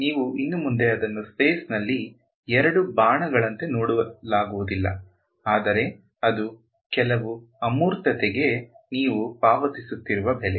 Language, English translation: Kannada, You can no longer visualize it as two arrows in space ok, but that is the price you are paying for some abstraction